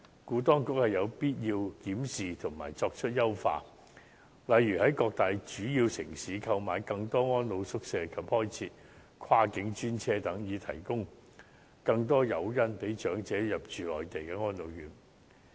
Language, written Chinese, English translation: Cantonese, 故此，當局有必要檢視政策及作出優化，例如在各大主要城市購買更多安老宿位及開設跨境專車，以提供更多誘因吸引長者入住內地安老院。, Therefore the authorities should review the relevant policies and have them improved . For instance more residential care places should be bought throughout the major cities on the Mainland and dedicated cross - boundary vehicles should be operated so as to provide elderly persons with more incentives to move to residential care homes for the elderly on the Mainland